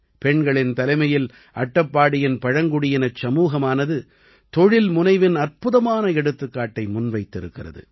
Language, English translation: Tamil, Under the leadership of women, the tribal community of Attappady has displayed a wonderful example of entrepreneurship